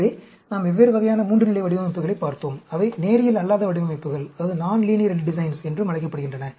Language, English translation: Tamil, So, we have looked at different types of 3 level designs, which are also called non linear designs